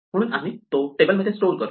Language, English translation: Marathi, So, we store that in the table